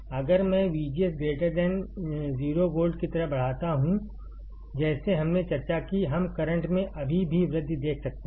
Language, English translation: Hindi, If I increase V G S greater than 0 volt like we discussed, we can see the current still increasing